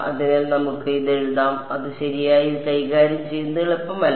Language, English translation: Malayalam, So, let us write it actually need not be it is easy to deal with it right